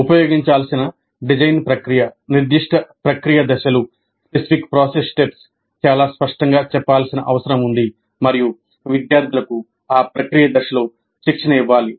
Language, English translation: Telugu, And the design process to be used, the specific process steps need to be made very clear and students must be trained in those process steps